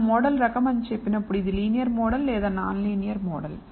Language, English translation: Telugu, When we say type of model it is a linear model or non linear model